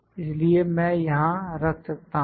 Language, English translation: Hindi, So, I can put here